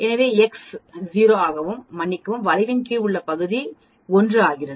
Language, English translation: Tamil, So that the x become 0, sorry and the area under the curve, becomes 1 and sigma becomes 1